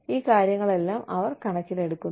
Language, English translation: Malayalam, They take, all of these things, into account